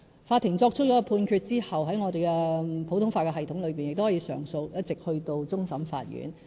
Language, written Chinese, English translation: Cantonese, 法庭作出判決後，在我們普通法的系統中，亦都可以上訴，一直去到終審法院。, In our common law jurisdiction the judgment handed by any court can be subject to appeal all the way up to the Court of Final Appeal